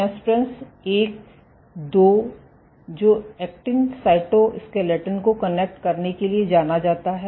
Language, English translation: Hindi, So, you might have nesprins 1, 2 which are known to connect to the actin cytoskeleton ok